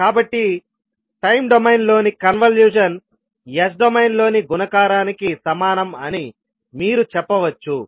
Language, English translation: Telugu, So you can simply say that the convolution in time domain is equivalent to the multiplication in s domain